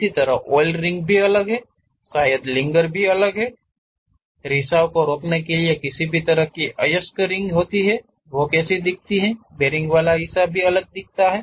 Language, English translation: Hindi, Similarly, oil rings are different, perhaps lingers are different; if there are any ore ring kind of thing to prevent leakage how it looks like, the bearing portion is different